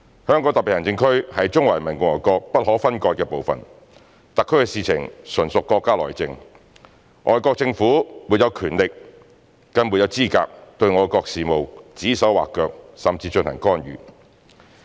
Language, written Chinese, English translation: Cantonese, 香港特別行政區是中華人民共和國不可分割的部分，特區的事情純屬國家內政，外國政府沒有權力，更沒有資格對我國事務指手劃腳甚至進行干預。, Since the Hong Kong Special Administrative Region HKSAR is an inalienable part of the Peoples Republic of China the affairs of HKSAR are purely our countrys internal affairs foreign governments have no authority and are in no position to make arbitrary comments on or even interfere in our countrys affairs